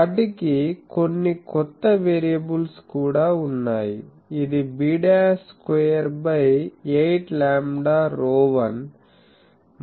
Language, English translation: Telugu, For these 2 planes, they also have some new variables s, which is b dash square by 8 lambda rho 1